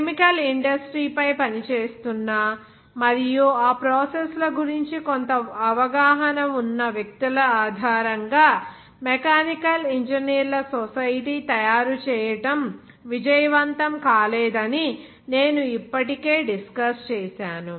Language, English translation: Telugu, That I have already discussed that it was not successful to make the society of mechanical engineers based on persons, who are working on the chemical industry and who have some knowledge of that chemical processes